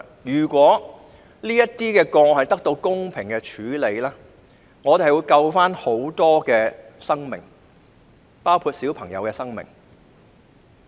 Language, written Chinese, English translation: Cantonese, 如果這些個案得到公平處理，其實可以救助很多生命，包括小朋友的生命。, If these cases can be handled in a fair manner a lot of lives including the lives of children can be saved